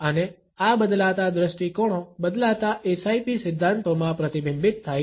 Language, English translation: Gujarati, And these changing perspectives are reflected in the changing SIP theories